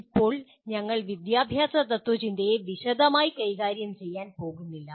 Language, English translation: Malayalam, Now we are not going to deal with philosophy of education in detail